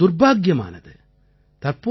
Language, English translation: Tamil, This is very unfortunate